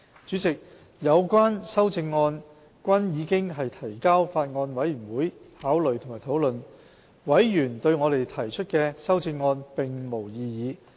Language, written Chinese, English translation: Cantonese, 主席，有關修正案均已提交法案委員會考慮及討論，委員對我們提出的修正案並無異議。, Chairman the relevant amendments were submitted to the Bills Committee for consideration and discussion . No objection was raised to our proposed amendments by members of the Bills Committee